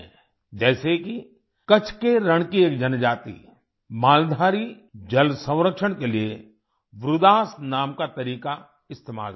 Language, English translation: Hindi, For example, 'Maldhari', a tribe of "Rann of Kutch" uses a method called "Vridas" for water conservation